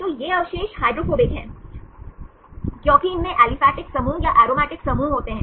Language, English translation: Hindi, So, these residues are hydrophobic because they contain aliphatic groups or aromatic groups